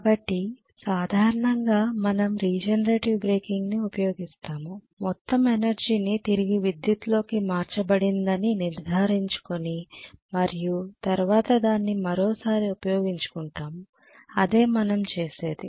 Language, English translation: Telugu, So generally we use regenerator breaking to make sure that all the energy is converted back in to electricity and then we utilise it once again that is what we do, wake him up